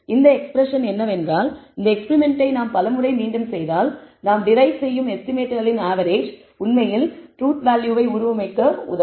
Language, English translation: Tamil, That is what this expression means that if we were to repeat this experiment several times the average of the estimates that we derive will actually, represent, be a very good representation of the truth